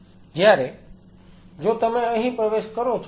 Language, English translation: Gujarati, Whereas if you are entering here